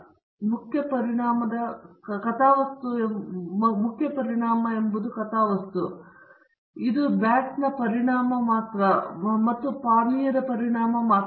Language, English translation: Kannada, You can see that this is the main effects plot; this is the effect of the bat alone and the effect of the drink alone